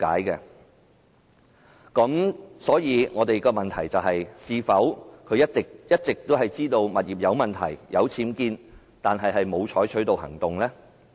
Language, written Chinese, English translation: Cantonese, 因此，我們的問題是：司長是否一直知悉其物業有僭建物，卻沒有採取行動？, Hence our question is Is the Secretary always aware of the UBWs in her property but has not taken any action?